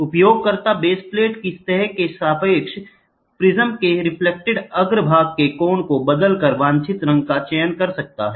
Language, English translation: Hindi, The user can select a desired color by varying the angle of the reflecting face of the prism relative to the plane of the base plate